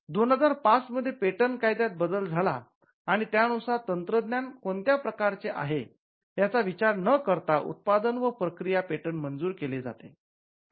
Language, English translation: Marathi, So, with the amendment of the patents act in 2005, we now offer product and process patents irrespective of the technology